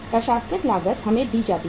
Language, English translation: Hindi, Administrative cost is given to us